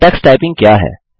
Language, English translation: Hindi, What is Tux Typing